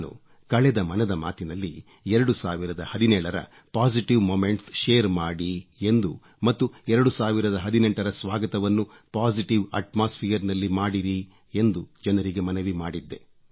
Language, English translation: Kannada, During the previous episode of Mann Ki Baat, I had appealed to the countrymen to share their positive moments of 2017 and to welcome 2018 in a positive atmosphere